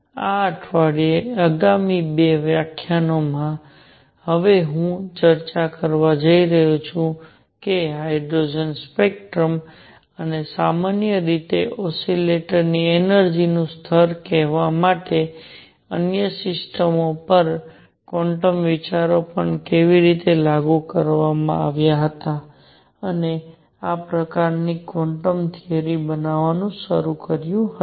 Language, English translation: Gujarati, In the coming 2 lectures this week, I am going to now discuss how quantum ideas were also applied to other systems to explain say hydrogen spectrum and the energy level of an oscillator in general, and this sort of started building up quantum theory